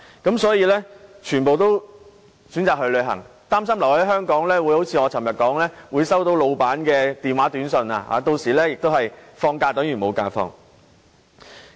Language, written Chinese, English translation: Cantonese, 因此，人人也選擇去旅行，擔心留在香港就會如我昨天所言般收到老闆的電話、短訊，令假期有等於無。, Therefore we all choose to join tours . We are afraid that as I said yesterday staying in Hong Kong will mean having to receive phone calls and SMS messages from our bosses making our days of leave no different from days of work